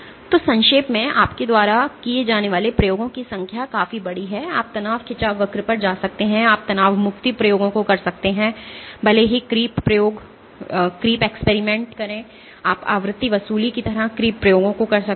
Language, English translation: Hindi, So, to summarize So, the number of experiments you can do is quite large, you can do stress strain curves, you can do stress relaxation experiments, even though creep experiments, you can do creep recovery kind of experiments, frequency sweep